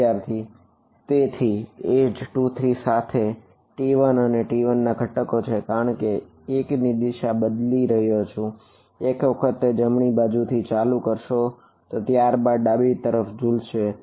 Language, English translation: Gujarati, So, T 1 along edge 2 3 component of T 1 well for one is changing direction ones is starting out on the right then swinging to the left hand side